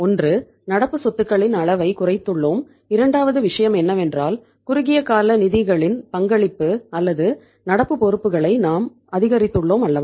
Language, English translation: Tamil, One is that we have decreased the level of current assets and second thing is we have increased the contribution of the short term funds or the current liabilities right